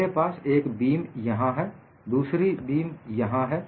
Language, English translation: Hindi, I have one beam here, another beam here